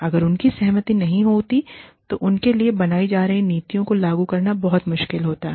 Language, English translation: Hindi, If their consent is not there, then it becomes very difficult to implement policies, that are being made for them